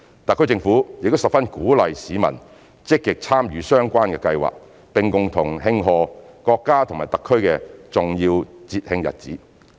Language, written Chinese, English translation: Cantonese, 特區政府亦十分鼓勵市民積極參與相關計劃，並共同慶賀國家和特區的重要節慶日子。, The HKSAR Government also strongly encourages members of the public to actively participate in the said arrangements to together celebrate the major festive days of the country and of HKSAR